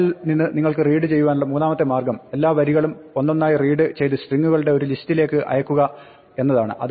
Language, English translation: Malayalam, The third way that you can read from a file is to read all the lines one by one into a list of strings